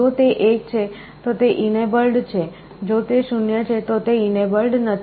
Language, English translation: Gujarati, If it is 1, it is enabled, if it is 0, it is not enabled